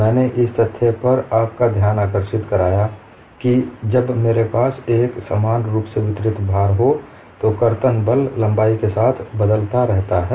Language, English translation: Hindi, I drew your attention to the fact, when I have a uniformly distributed load shear force varies along the length of the beam